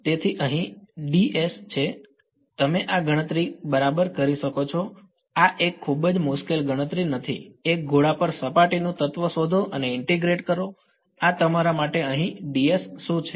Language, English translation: Gujarati, So, you can do this calculation right this is not a very difficult calculation find the surface element on a sphere and integrate this is going to be what is your ds over here